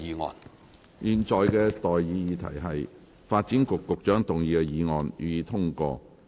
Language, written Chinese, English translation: Cantonese, 我現在向各位提出的待議議題是：發展局局長動議的議案，予以通過。, I now propose the question to you and that is That the motion moved by the Secretary for Development be passed